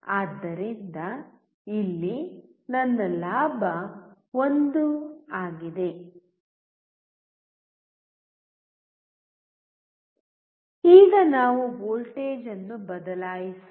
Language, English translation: Kannada, So, here my gain is 1 Now, let us change the voltage